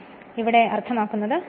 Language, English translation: Malayalam, So, that is your what you call the meaning here